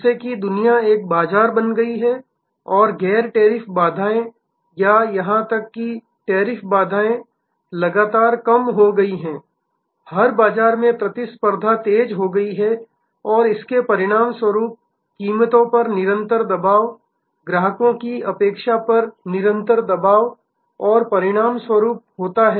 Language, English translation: Hindi, As the world has become one market and the non tariff barriers or even tariff barriers have continuously come down, competition in every market place has intensified and as a result there is a continuous pressure on prices, continuous pressure on customers expectation and as a result the organizations are under relentless pressure to reduce their costs